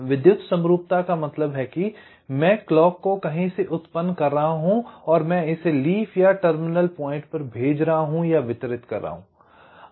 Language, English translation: Hindi, what does electrical symmetry means electrical symmetry means that, well, i am generating the clock from somewhere, i am sending it or distributing it to several leaf or terminal points